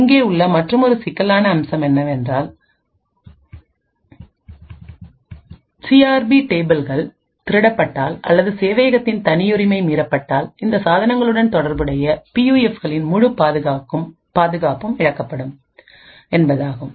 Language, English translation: Tamil, Other aspects that could be an issue is that the CRP tables if they are stolen or if the privacy of the server gets breached then the entire security of the PUFs corresponding to these devices would be lost